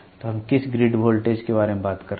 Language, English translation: Hindi, So, what is the grid voltage we are talking about